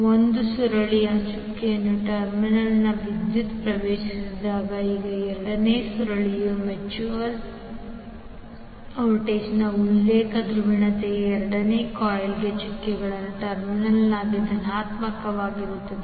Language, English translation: Kannada, Now if the current leaves the doted terminal of one coil the reference polarity of the mutual voltage in the second coil is negative at the doted terminal of the coil